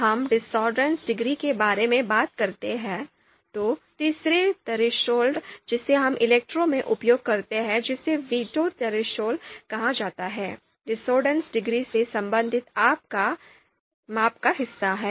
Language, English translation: Hindi, When we talk about the discordance degree, then the third threshold that we use in ELECTRE is veto threshold, so this is going to be veto threshold is also going to be the part of the measurement related to discordance degree